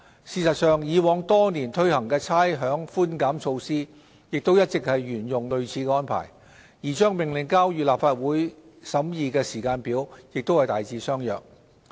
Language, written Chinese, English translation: Cantonese, 事實上，以往多年推行的差餉寬減措施亦一直沿用類似安排，而將《命令》交予立法會審議的時間表亦大致相若。, In fact similar arrangements were made for the rates concession measures introduced in the past years and a broadly similar timetable has also been formulated for tabling the Order in the Legislative Council for scrutiny